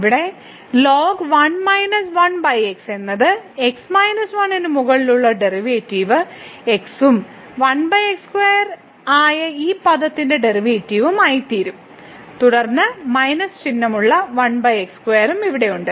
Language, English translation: Malayalam, So, here ln 1 minus 1 over x will become the derivative over minus 1 and the derivative of this term which is 1 over square and then we have here also 1 over square with minus sign